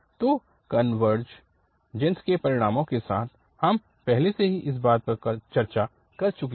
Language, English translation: Hindi, So, that we have already discussed with this convergence results earlier